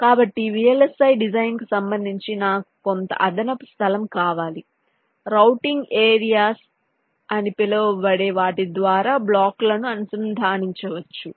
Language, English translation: Telugu, so with respect to vlsi design, i needs some additional space through which i can inter connect the blocks